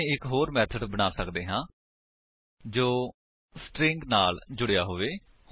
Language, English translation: Punjabi, We can create one more method which appends strings